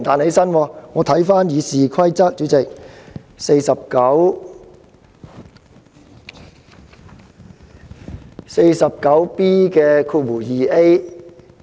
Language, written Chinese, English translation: Cantonese, 主席，我曾翻閱《議事規則》第 49B 條。, President I have read Rule 49B2A of the Rules of Procedure